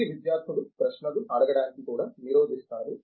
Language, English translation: Telugu, This is the students, also is inhibited to ask questions are raise doubts